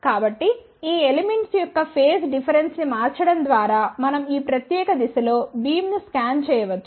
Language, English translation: Telugu, So, just by changing the phase difference of these elements we can scan the beam in this particular direction